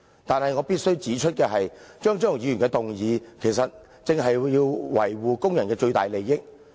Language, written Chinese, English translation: Cantonese, 但是，我必須指出的是，張超雄議員的修正案，正是要維護工人的最大利益。, Nevertheless I must point out that Dr Fernando CHEUNGs amendments precisely seek to protect the greatest interests of workers